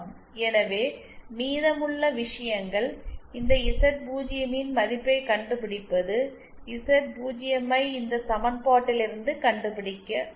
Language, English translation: Tamil, So the remaining things that is left is to find out the value of this Z0 and that Z0 can be found out from this equation